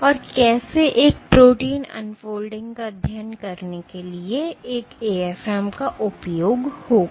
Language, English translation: Hindi, And how would one use an AFM for studying protein unfolding ok